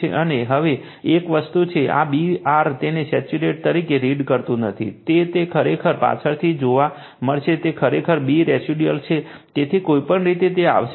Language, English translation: Gujarati, Now, and one thing is there, this B r do not read at it as saturated right, it is actually later we will see, it is actually B residual right, so anyway we will come to that